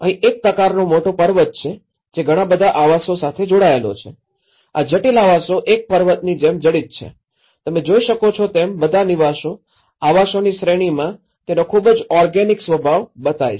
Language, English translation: Gujarati, So, here itís a kind of big mountain which is embedded with a lot of dwellings which is intricate dwellings which are embedded like a mountain, what you can see is that all the dwellings, series of dwellings which are very organic nature of it